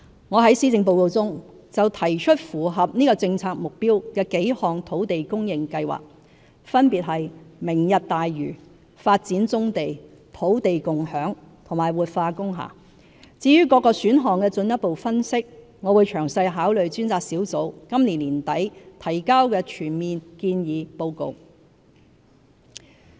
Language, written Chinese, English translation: Cantonese, 我在施政報告中提出符合這政策目標的幾項土地供應計劃，分別是明日大嶼、發展棕地、土地共享和活化工廈，至於各個選項的進一步分析，我會詳細考慮專責小組今年年底提交的全面建議報告。, In the Policy Address I present some plans on land supply in line with such policy objectives . They include Lantau Tomorrow Vision development of brownfield sites land sharing and revitalization of industrial buildings . As regards the further analysis of individual options I will give detailed consideration to the Task Forces recommendations in its full report to be submitted by the end of this year